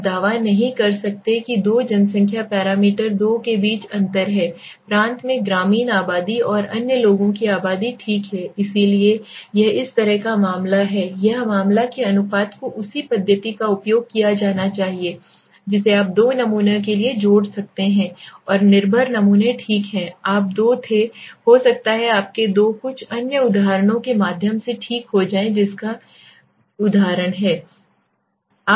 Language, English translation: Hindi, You cannot claim that there is a difference between the two population parameter two populations the rural population and the others in the province right, so this is the case of a this is the case that proportion is to be used the same methodology you can add out for two samples and dependent samples okay, you were two may be your two go through some other examples okay has is the example